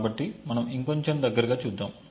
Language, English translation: Telugu, So, let us look at it a little bit more closely